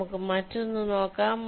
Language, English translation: Malayalam, lets look at the other one